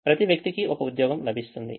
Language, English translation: Telugu, each person gets one job